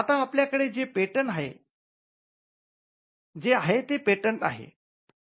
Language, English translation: Marathi, Now, we come to the patent itself